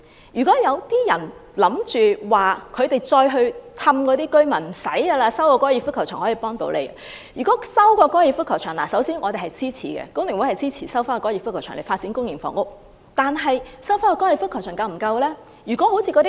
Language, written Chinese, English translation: Cantonese, 如果有人想欺騙那些居民說，只要收回粉嶺高爾夫球場便可以幫助他們......首先，工聯會支持收回高球場以發展公營房屋，但收回高球場是否已經足夠？, If someone wishes to deceive these residents telling them that if the Fanling Golf Course is resumed their problems can be resolved First The Hong Kong Federation of Trade Unions FTU supports the resumption of the Golf Course for public housing construction but can sufficient housing units be built by resuming the Golf Course alone?